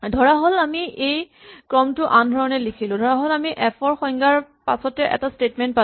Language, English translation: Assamese, Suppose, we rewrote this sequence in a different way, so supposing we had the definition of f then we had this statement